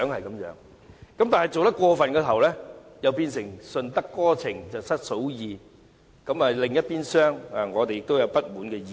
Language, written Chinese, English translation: Cantonese, 然而，若是太過分的話，卻會變成"順得哥情失嫂意"，因另一邊廂，我們都會有不滿的意見。, By the way however you must see that if you lean too much to one side you may end up pleasing nobody because we on the other side will also be dissatisfied